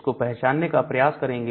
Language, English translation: Hindi, So, we try to identify that